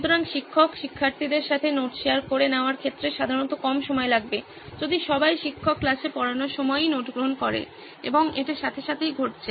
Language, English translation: Bengali, So teacher sharing the notes with the peers would usually take less time in case everyone is taking the notes while teacher is teaching in class